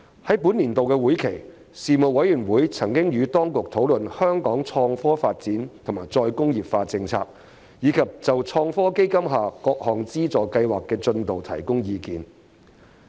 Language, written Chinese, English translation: Cantonese, 在本年度會期，事務委員會曾與當局討論香港創科發展及再工業化政策，以及就創新及科技基金下各項資助計劃的進度提供意見。, During the current session the Panel discussed with the authorities the policies on the innovation and technology development as well as re - industrialization in Hong Kong and gave views on the progress of various funding schemes under the Innovation and Technology Fund ITF